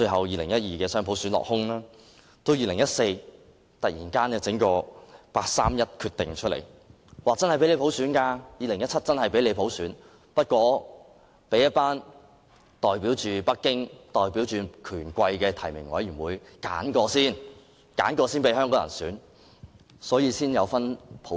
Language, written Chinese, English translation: Cantonese, 2014年，又突然拋出人大常委會八三一決定，讓香港在2017年實行普選，但是經由代表北京和權貴的提名委員會挑選後才讓香港人普選。, In 2014 NPCSC suddenly came up with the 31 August Decision to implement universal suffrage in Hong Kong in 2017 but Hong Kong people could only elect by universal suffrage the candidates screened by the nomination committee represented by Beijing and the bigwigs